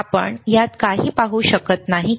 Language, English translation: Marathi, Can you see anything in that this one